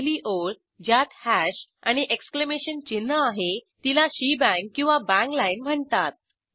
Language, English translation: Marathi, The first line, with the hash and exclamation symbol, is a shebang or a bang line